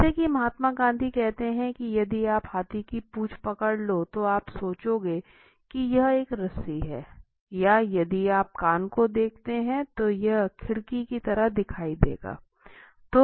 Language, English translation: Hindi, As Mahatma Gandhi says if you hold an elephant’s tail you will think like it is a rope or if you look at ear it will look like a window